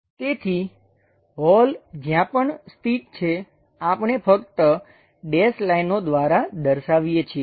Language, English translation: Gujarati, So, wherever holes are located, we just show by dash lines